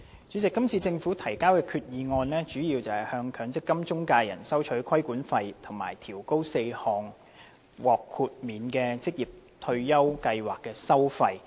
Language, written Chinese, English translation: Cantonese, 主席，今次政府提交的決議案主要是向強制性公積金中介人收取規管費及調高4項獲豁免的職業退休計劃的收費。, President the resolution submitted by the Government seeks to charge the Mandatory Provident Fund MPF intermediaries regulatory fees and also to raise four fees relating to MPF exempted occupational retirement schemes